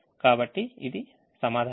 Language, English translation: Telugu, so this is the answer